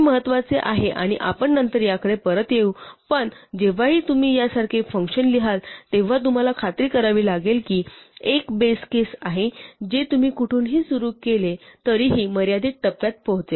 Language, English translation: Marathi, This is important and we will come back to this later but whenever you write a function like this, you have to make sure that there is a base case which will be reached in a finite number of steps no matter where you start